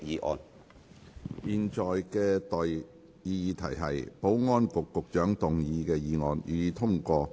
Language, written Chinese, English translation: Cantonese, 我現在向各位提出的待議議題是：保安局局長動議的議案，予以通過。, I now propose the question to you and that is That the motion moved by Secretary for Security be passed